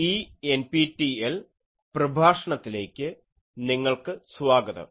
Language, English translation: Malayalam, Welcome to this NPTEL lecture